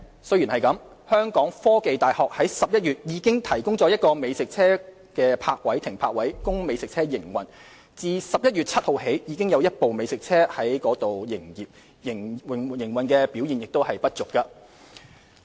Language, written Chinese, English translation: Cantonese, 雖然如此，香港科技大學在11月已提供一個美食車停泊位供美食車營運，自11月7日起已有一部美食車在該處營業，營運表現不俗。, This notwithstanding one pitch in The Hong Kong University of Science and Technology HKUST has already been made available for food trucks operation in November . A food truck has started operating at HKUST since 7 November and the business performance is satisfactory